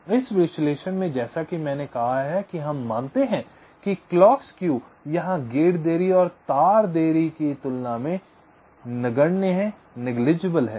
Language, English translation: Hindi, so in this analysis, as i said, we assume that clock skew is negligible as compared to the gate and wire delays clock skew we shall be considering separately